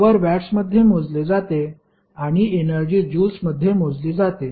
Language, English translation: Marathi, Power is measured in watts and w that is the energy measured in joules